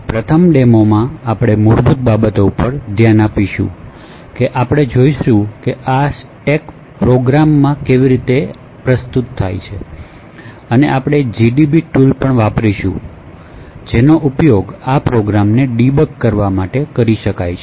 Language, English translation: Gujarati, So, in this first demo we will actually look at the basics we will see how this stack is presented in a program and we will also uses a tool called gdb which can be used to actually debug these programs